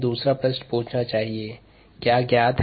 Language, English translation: Hindi, so let us ask the second question: what is known or given